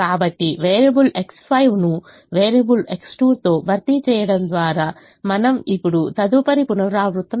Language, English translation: Telugu, so we can now do the next iteration by replacing variable x five with variable x two